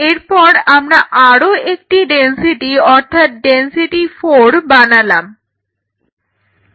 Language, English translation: Bengali, So, then I get density one density two density 3 and density 4